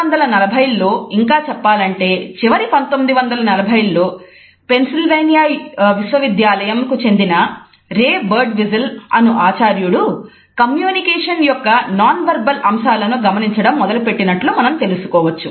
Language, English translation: Telugu, We find that it was in the 1940s rather late 1940s that at the university of Pennsylvania professor Ray Birdwhistell is started looking at the nonverbal aspects of communication